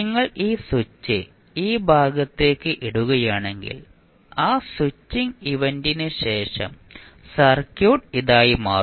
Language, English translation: Malayalam, So, if you put this switch to this side then after that switching event the circuit will become this